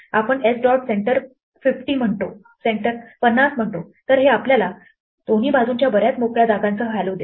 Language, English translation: Marathi, We say s dot center 50, then this gives us hello with a lot of blank spaces on either side